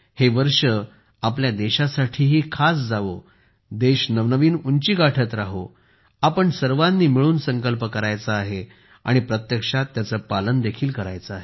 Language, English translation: Marathi, May this year also be special for the country, may the country keep touching new heights, and together we have to take a resolution as well as make it come true